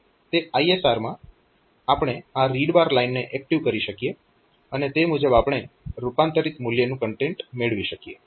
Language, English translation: Gujarati, In that in that ISR so, we can activate this read bar line, and accordingly we can get the content of this converted value